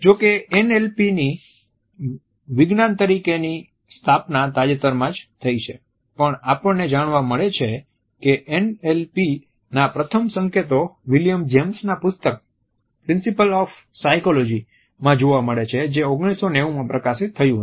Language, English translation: Gujarati, Though NLP as a science has been established relatively recently, we find that the first indications of NLP are found in William James treatise Principles of Psychology which was published in 1890